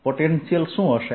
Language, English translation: Gujarati, what will be the potential